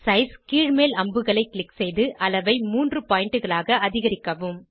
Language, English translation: Tamil, Click on Size scroller arrow and increase the size to 3.0 pts